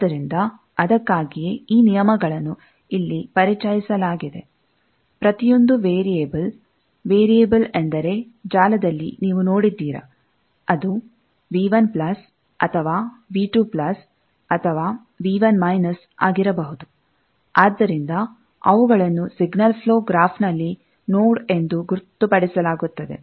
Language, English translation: Kannada, So, that is why, these rules are introduced here that, each variable, that means, variable means, in a network, you have seen that, it can be either V 1 plus, or V 2 plus, or V 1 minus; so, those are designated as a node in a signal flow graph